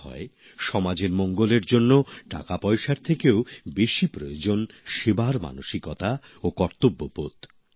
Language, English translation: Bengali, It is said that for the welfare of the society, spirit of service and duty are required more than money